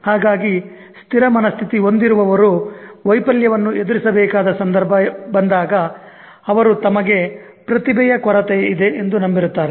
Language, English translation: Kannada, So the one with a fixed mindset, whenever there is a situation where he or she is confronted with failure, believes that he or she lacks the talent, lacks the trait